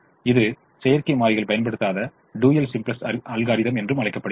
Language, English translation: Tamil, it's called the dual simplex algorithm, where we do not use artificial variables